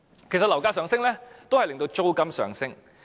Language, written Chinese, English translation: Cantonese, 其實樓價上升，亦會令租金上升。, In fact the rise in property prices will also lead to an increase in rents